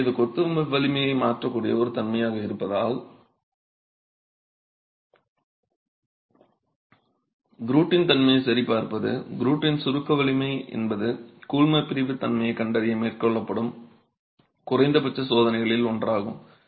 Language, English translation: Tamil, So, again, since it's a property that can alter the strength of masonry, a check on the grout property, grout compressive strength is one of the minimum tests that is carried out to characterize the grout itself